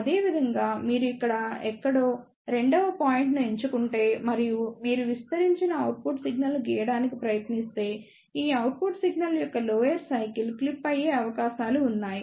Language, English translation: Telugu, Similarly, if you select the second point somewhere here and if you try to draw the amplified output signal, there are chances that the lower cycle of this output signal may get clipped